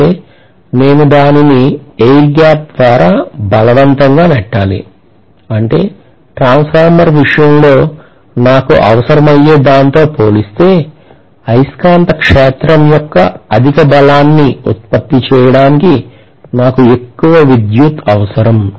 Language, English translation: Telugu, That means I have to forcefully push it through the air gap which means I will require more current to produce a higher strength of the magnetic field as compared to what I would require in the case of a transformer